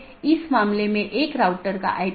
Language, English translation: Hindi, So, this is the 4 thing